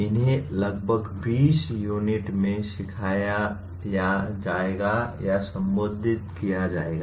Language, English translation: Hindi, These will be covered or addressed over about 20 units